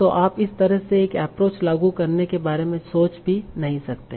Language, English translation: Hindi, So you can't even think of applying an approach like that